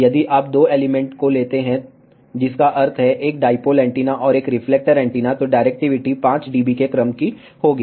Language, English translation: Hindi, If you take two elements that means, one dipole antenna and one reflector antenna, then the directivity will be of the order of 5 dB